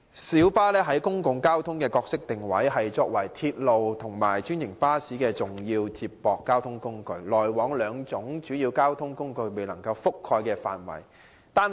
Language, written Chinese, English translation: Cantonese, 小巴在本港公共運輸的角色，是作為鐵路及專營巴士的重要接駁交通工具，主要服務該兩種主要交通工具未能覆蓋的範圍。, In the public transport system of Hong Kong the role of light buses is to provide key feeder service for railways and franchised buses serving primarily areas not covered by these two modes of transport